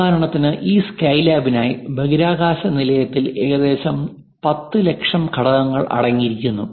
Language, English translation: Malayalam, For example, for this Skylab experiment the space station whatever has been constructed it contains nearly 10 Lakh components